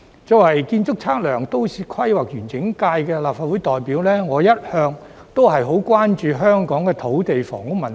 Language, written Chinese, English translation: Cantonese, 作為建築、測量、都市規劃及園境界的立法會代表，我一向十分關注香港的土地房屋問題。, As a representative of the Architectural Surveying Planning and Landscape Functional Constituency of the Legislative Council I have always been very concerned about the land and housing issues in Hong Kong